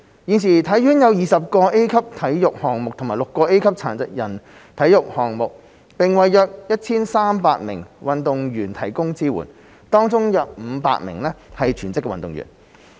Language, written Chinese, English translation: Cantonese, 現時體院有20個 A 級體育項目和6個 A 級殘疾人體育項目，並為約 1,300 名運動員提供支援，當中約500名是全職運動員。, At present HKSI has 20 Tier A sports and 6 Tier A para sports and provides support to about 1 300 athletes among which there are about 500 full - time athletes